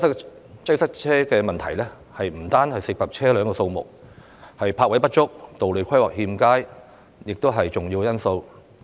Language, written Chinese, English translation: Cantonese, 然而，塞車問題不單涉及車輛數目，泊位不足、道路規劃欠佳等亦是重要成因。, However traffic congestion does not solely hinge on the number of vehicles . Insufficient parking spaces and inadequate road planning are also major factors